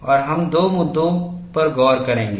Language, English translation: Hindi, These are the two issues we have looked at